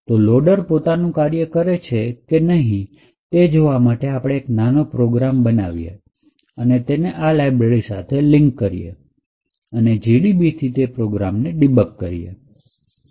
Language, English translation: Gujarati, So, in order to check whether the loader is actually doing its job what we can do is we can write a small program which is linked, which will link to this particular library that will compile that program and use GDB to debug that particular program as follows